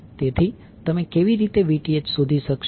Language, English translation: Gujarati, So, how will you able to find out the Vth